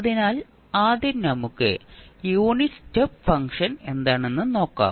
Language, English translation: Malayalam, So, first let us see what is unit step function